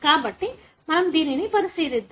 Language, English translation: Telugu, So, let us look into that